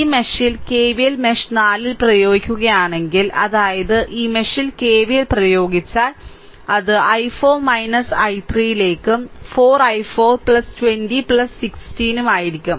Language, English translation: Malayalam, If you apply KVL in mesh 4 in this mesh; that means, in this mesh if you apply KVL in this mesh if you apply, it will be 4 i 4 plus 20 right plus 16 into i 4 minus i 3